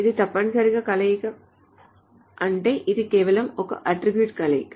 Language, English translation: Telugu, It's essentially combination meaning it's just a concatenation of the attributes